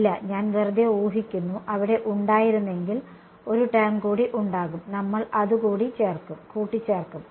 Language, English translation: Malayalam, No, I am just assuming, if there was, there will be one more term we will add it right